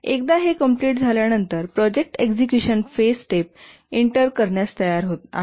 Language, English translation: Marathi, And then once these are complete, the project is ready for entering the execution phase